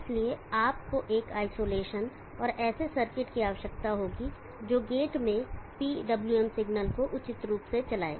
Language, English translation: Hindi, So therefore, you lead an isolation and circuit that appropriately drives the PWM signal into the gate